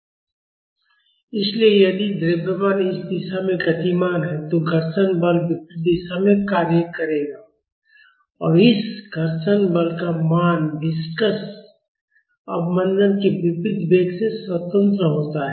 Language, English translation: Hindi, So, if the mass is moving in this direction, the frictional force will act in the opposite direction and the value of this frictional force is independent of velocity unlike the viscous damping